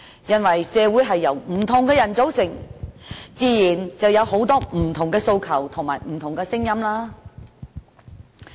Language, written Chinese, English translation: Cantonese, 原因是，社會是由不同的人組成，自然有很多不同訴求和聲音。, In fact society comprises different kinds of people and it is just natural that different aspirations and voices exist